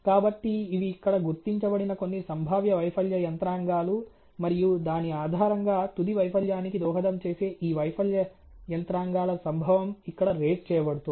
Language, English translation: Telugu, So, these are some of the potential failure mechanisms which are identified here and based on that the occurrence of these failure mechanisms contributing to the final failure ok is being rated here